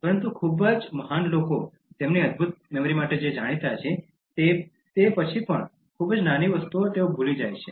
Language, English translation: Gujarati, But then even very great people known for their wonderful memory, forget very small things